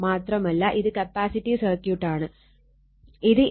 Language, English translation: Malayalam, And this is your capacitive circuit 8